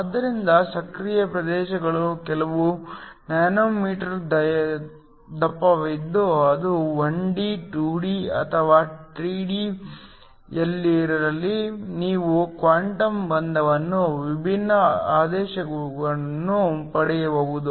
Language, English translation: Kannada, So, of the active regions is only a few nanometers thick whether it is in 1D, 2D or 3D you can get different orders of quantum confinement